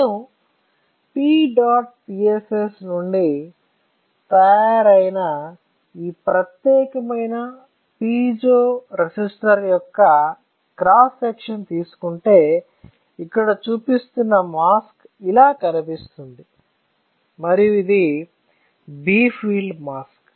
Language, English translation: Telugu, So, if I take a cross section of this particular piezo resistor which is made out of a P dot PSS, then for that the mask that I am showing here will look like this and this is a bright field mask all right